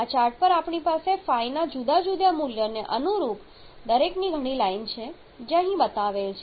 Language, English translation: Gujarati, Now what we have on the chart we have several lines of each corresponds to different value of phi that is shown here